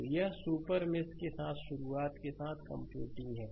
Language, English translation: Hindi, So, it is computing with beginning with a super mesh